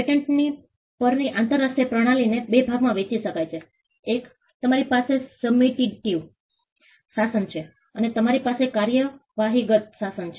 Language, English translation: Gujarati, The international system on patents can be divided into two; one you have the substantive regime and you have the procedural regime